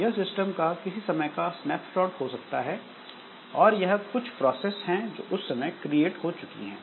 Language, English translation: Hindi, So, this may be a snapshot of some point of time that these are some of the processes that are created